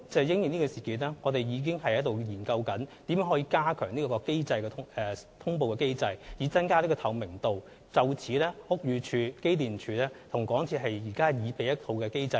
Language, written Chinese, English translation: Cantonese, 因應這事件，我們正研究如何加強通報機制以增加透明度，而屋宇署、機電署和港鐵公司現正擬備有關機制。, In response to this incident we are studying ways to strengthen the reporting mechanism to enhance transparency . BD EMSD and MTRCL are jointly working on this